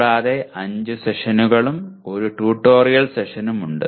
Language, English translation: Malayalam, And there are 5 sessions and 1 tutorial session